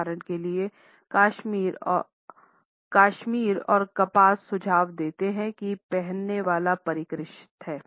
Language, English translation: Hindi, For example, cashmere and cotton suggest that the wearer is sophisticated and also a well to do person